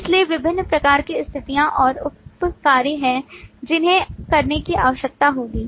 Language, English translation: Hindi, So there are different kinds of conditions and sub tasks that will need to be done